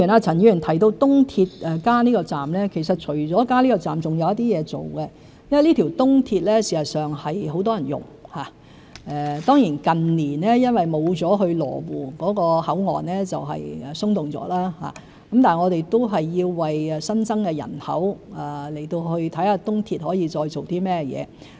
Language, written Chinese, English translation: Cantonese, 陳議員提到東鐵加建這個站，其實除此以外，還有一些工作要處理，因為這條東鐵線很多人使用，雖然近年因缺少了去羅湖口岸的人流而變得鬆動，但我們仍要為新增人口而考慮東鐵還可以發揮甚麼作用。, Mr CHAN mentioned the construction of an additional station on the East Rail Line ERL . In fact apart from this there is some other work to be undertaken because of the high passenger patronage of ERL . Although ERL has become less packed in recent years due to a reduction in passenger patronage to the Lo Wu Control Point in light of an increased population we still need to explore ways to optimize the potential of ERL